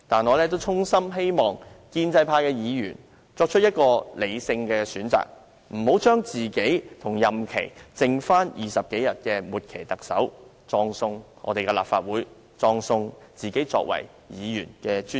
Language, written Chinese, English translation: Cantonese, 我衷心希望建制派議員作出理性選擇，不要把自己與任期剩下20多天的"末期特首"拉在一起，葬送立法會，葬送自己作為議員的尊嚴。, I sincerely hope that pro - establishment Members can make their choices rationally rather than destroying the Legislative Council as well as their dignity as members of the legislature by bundling themselves with the outgoing Chief Executive who has only 20 - odd days left in his tenure